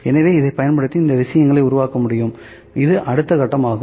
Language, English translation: Tamil, So, these things can be created using this so, this is the next step